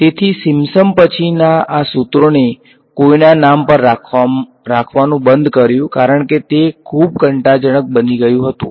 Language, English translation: Gujarati, So, these formulae after Simpson they stopped being named after anyone because, it became too boring